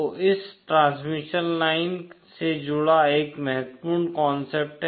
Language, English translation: Hindi, So this is one important concept associated with transmission lines